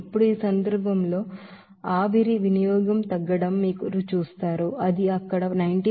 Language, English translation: Telugu, Now in this case, you will see that decrease in steam consumption you will see that it will be coming as 90